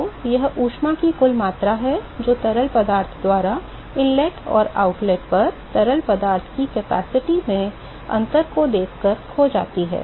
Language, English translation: Hindi, So, that is the net amount of heat that is lost by the fluid by simply looking at the difference in the capacity of fluid at the inlet and at the outlet